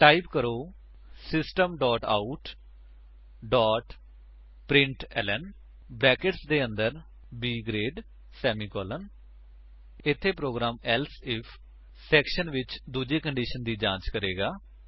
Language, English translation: Punjabi, Type: System dot out dot println within brackets B grade semicolon Here, the program will check for the second condition in the Else If section